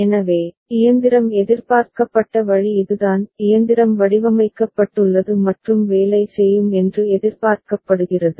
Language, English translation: Tamil, So, this is the way the machine has been expected to machine has been designed and is expected to work